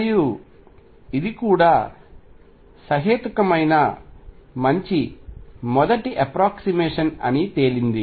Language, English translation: Telugu, And it turns out that even this is a reasonably good first of approximation